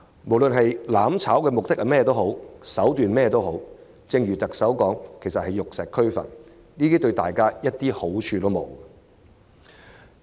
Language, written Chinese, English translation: Cantonese, 無論"攬炒"的目的和手段為何，正如特首所言，其實是玉石俱焚，對大家毫無好處。, No matter what means are employed and what ends are to be achieved burning together as the Chief Executive has stated is actually the pursuit of mutual destruction which would do no good to all